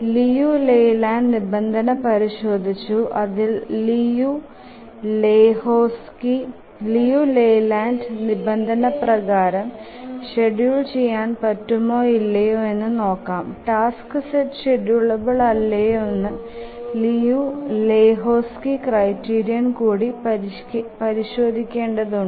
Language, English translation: Malayalam, Check the layland condition, whether it is schedulable and if it is not schedulable according to Liu Leyland and before concluding that the task set is not schedulable, we need to try the Liu and Lahutski's criterion